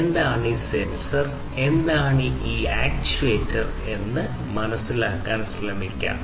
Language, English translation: Malayalam, So, let us try to understand, what is this sensor, and what is this actuator